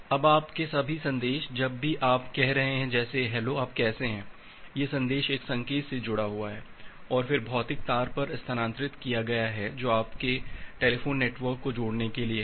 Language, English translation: Hindi, Now all your messages like whenever you are saying: hello, how are you this message is embedded to a signal, and then transferred over the physical wire which is there to connect your telephone network